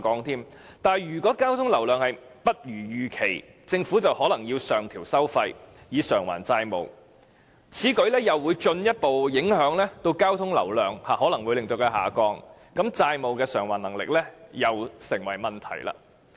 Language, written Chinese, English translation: Cantonese, 然而，如果交通流量不如預期，政府便可能要上調收費以償還債務，但此舉又可能會進一步令交通流量下降，債務償還能力又會成為問題。, If the traffic flow volume is not as big as anticipated the governments will have to increase the tolls in order to repay their debts . Such a measure may cause a further drop in the traffic flow volume and the ability to repay the debts will become a problem again